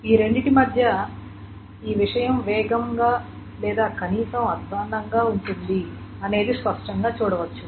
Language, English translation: Telugu, Now, between these two, one can clearly see that this is going to be faster or at least as worse as this thing